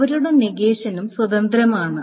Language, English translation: Malayalam, So their negations are also independent